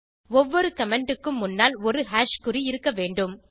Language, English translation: Tamil, Every comment must be preceded by a # sign